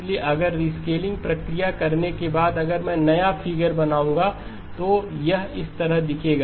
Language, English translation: Hindi, So if I were to after the rescaling if I were to draw the new figure then it would look like this